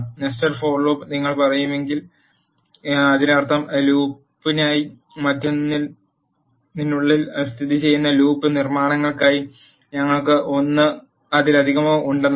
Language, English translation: Malayalam, When you say nested for loop it means we have one or more for loop constructs that are located within another for loop